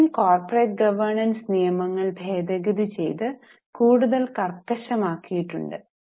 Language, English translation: Malayalam, Including some changes were also made in India and corporate governance laws and rules today have been made much more stricter